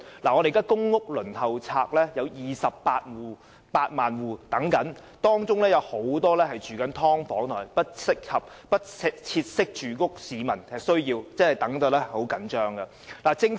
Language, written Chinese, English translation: Cantonese, 現時公屋輪候冊上有28萬戶在輪候，當中有很多正居於"劏房"或"不適切的居所"，他們已等得很焦急。, At present there are 280 000 families on the PRH Waiting List . Many of them are currently residing in subdivided units or inadequate housing and they have been waiting desperately for PRH units